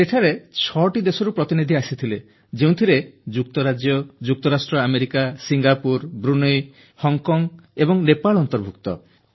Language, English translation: Odia, Six countries had come together, there, comprising United Kingdom, United States of America, Singapore, Brunei, Hong Kong & Nepal